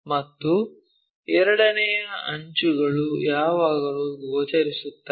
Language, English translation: Kannada, And, second thing edges are always be visible